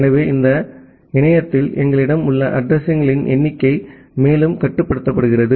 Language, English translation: Tamil, So, this further limits the number of available addresses that we have in the internet